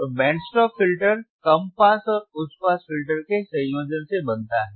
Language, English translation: Hindi, So, the band stop filter is formed by combination of low pass and high pass filter